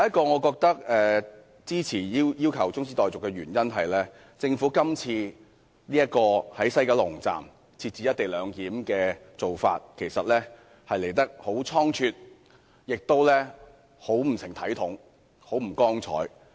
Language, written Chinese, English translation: Cantonese, 我支持中止待續議案的原因，第一，政府今次在西九龍站設置"一地兩檢"的做法很倉卒，亦很不成體統和光彩。, My first reason for supporting the adjournment motion is that the Governments decision to implement the co - location arrangement in West Kowloon Station is much too hasty and inglorious